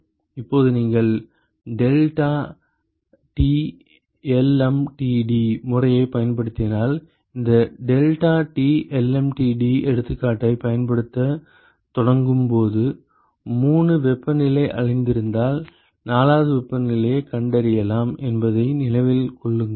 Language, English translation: Tamil, Now, if you use deltaT lmtd method, remember that when we start used this deltaT lmtd example, we saw that suppose if we know 3 temperatures we can find the 4th one